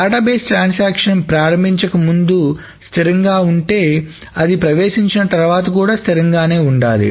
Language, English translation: Telugu, So if the database was consistent to start with before the transaction started, it should be consistent after the transaction has entered